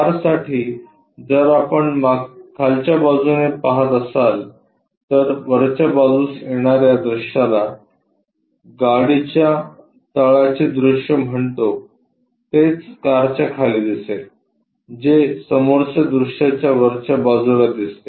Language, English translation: Marathi, For a car if we are looking from bottom side, the view whatever comes on to the top that is what we call bottom side view underneath the car which comes on top side of this front view